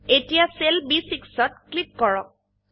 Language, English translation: Assamese, Now click on the cell B6